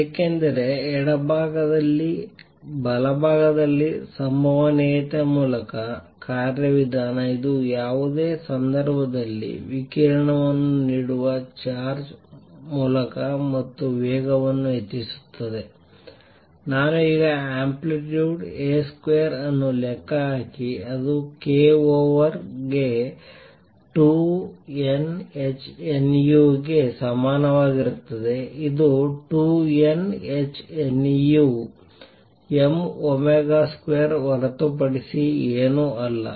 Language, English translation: Kannada, Because in the left hand side, the mechanism through probability on the right hands side; it is through and accelerating charge giving out radiation in any case, I can now calculate the amplitude A square is equal to 2 n h nu over k which is nothing but 2 n h nu over m omega square